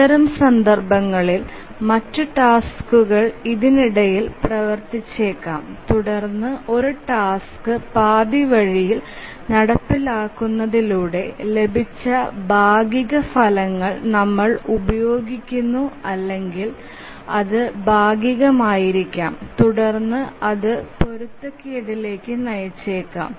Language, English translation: Malayalam, So, in that case, other tasks may run in between and they may use the partial results obtained by executing a task halfway or maybe partially and that may lead to inconsistency